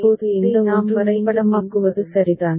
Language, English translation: Tamil, So, this is the way we map it, right